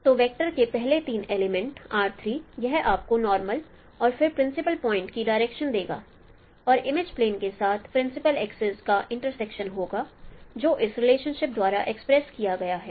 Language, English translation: Hindi, So the first three elements of the vector R3 it would give you the directions of the normal and then principal point is the intersection of the principal axis with the image plane which is you know expressed by this relationship